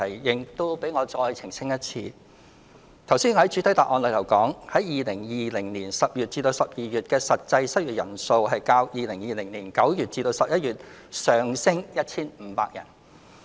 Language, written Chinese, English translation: Cantonese, 讓我再一次澄清，我剛才在主體答覆說 ，2020 年10月至12月的失業人數較2020年9月至11月上升 1,500 人。, Let me clarify again . As stated in my main reply just now compared to September to November 2020 the number of unemployed persons increased by 1 500 in October to December 2020